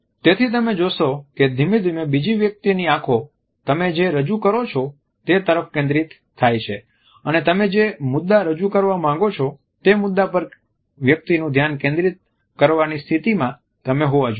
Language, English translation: Gujarati, So, you would find that gradually by captivating the eyes of the other person, you would be in a position to make the other person look at the point you want to highlight